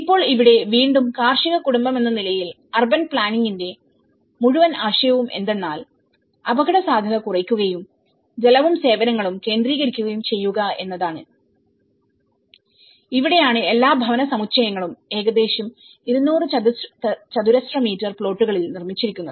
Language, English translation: Malayalam, Now, here being agricultural family again the whole idea of urban planning is to reduce the vulnerability and the centralizing water and services and this is where all the housing complexes are built in about 200 square meters plots